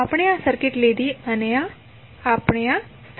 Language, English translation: Gujarati, We took this circuit and we stabilized that